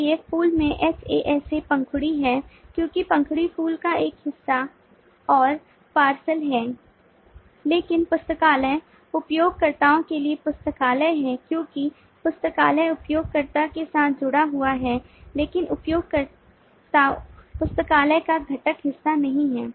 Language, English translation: Hindi, so flower hasa, petal, because petal is a part and parcel of flower but library has users, because library is associated with the users but users are not component part of the library